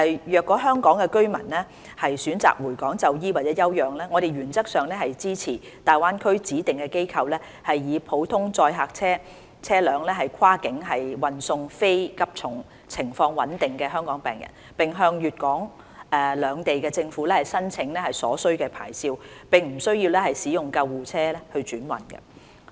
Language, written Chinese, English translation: Cantonese, 若香港居民選擇回港就醫或休養，我們原則上支持大灣區指定機構以普通載客車輛跨境運送非急重、情況穩定的香港病人，並向粵港兩地政府申請所需牌照，並不需要使用救護車轉運。, If Hong Kong residents choose to return to Hong Kong for treatment or recuperation we in principle support cross - boundary transfer of non - critical Hong Kong patients with stable conditions using ordinary passenger vehicles by designated institutions in the Greater Bay Area and the application of necessary licences from the governments of Hong Kong and Guangdong without needing to use ambulances for the transfer